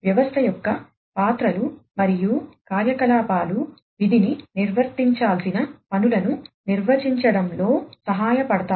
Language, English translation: Telugu, The roles and the activities of the system will help in defining the task, the tasks to be performed